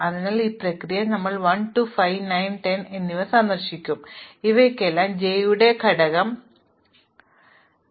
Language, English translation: Malayalam, So, in this process we will visit 1, 2, 5, 9 and 10 and for all of these we will set component of j equal to comp